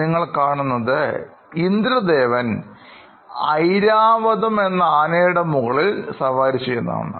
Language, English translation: Malayalam, And what you also see is, Lord Indra riding on his “Airavat” or white elephant